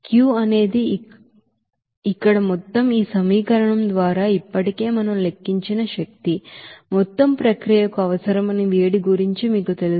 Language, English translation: Telugu, And Q is the here total, energy that already we have calculated by this equation here, total you know heat required for the process